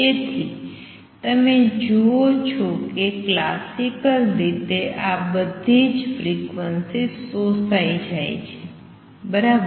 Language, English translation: Gujarati, So, you see that classically since all these frequencies are observed, right